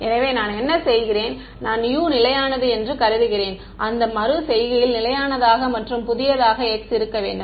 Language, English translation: Tamil, So, what I do is that I assume U to be constant at that iteration find out the new x right